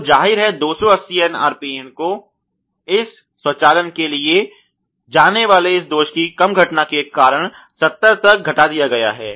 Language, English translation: Hindi, So obviously, the 280 RPN has been reduced to 70 because of the less occurrence of this defect going to this automation that has been provided ok